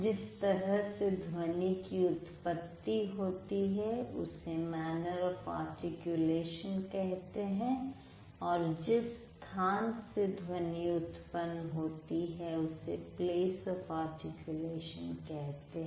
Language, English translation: Hindi, The way it has been produced that will be the manner of articulation, the place it has been produced would be the place of articulation